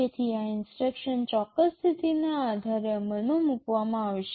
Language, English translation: Gujarati, So, this instruction will be executed depending on certain condition